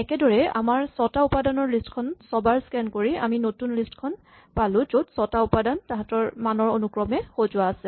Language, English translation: Assamese, In this way by doing six scans on our list of six elements, we have build up a new sequence which has these six elements ordered according to their value